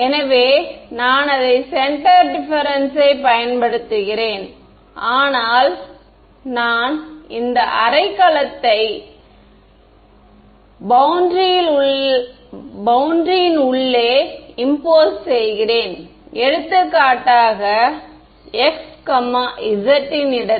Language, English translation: Tamil, So, then I impose it use centre differences, but impose this half a cell inside the boundary if I impose this so, at for example, at the location of x z